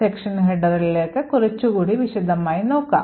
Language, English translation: Malayalam, So, let us look a little more detail into the section headers